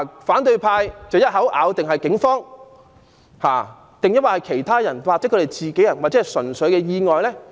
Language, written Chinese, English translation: Cantonese, 反對派一口咬定是警方造成，但亦有可能是被其他示威者弄傷，或者純屬意外。, The opposition camp has asserted that it was caused by the Police but she might also get hurt by other protesters or simply by accident